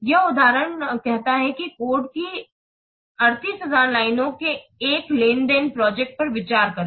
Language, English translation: Hindi, This example said that consider a transaction project of 38,000 lines of course